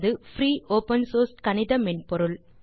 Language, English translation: Tamil, Sage is a free, open source mathematical software